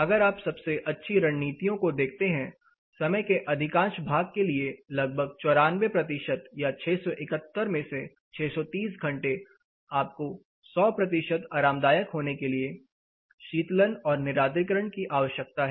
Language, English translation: Hindi, If you see the best of strategies most part of the time around 94 percent of the time you need say 671 out of you know 671 hours 93 you know 630 out of 671 hours you need cooling and dehumidification, as to remain 100 percent comfortable